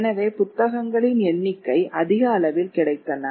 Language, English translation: Tamil, So therefore there is larger availability of books